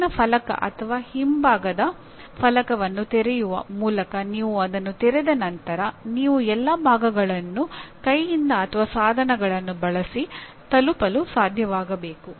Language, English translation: Kannada, Once you open that by opening the top panel or back panel and whatever it is, then you should be able to reach all parts by hand or using tools